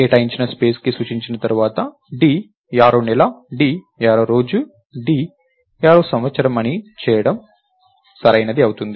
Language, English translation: Telugu, Once its pointing to an allocated space, its ok to do d arrow month, d arrow day and d arrow year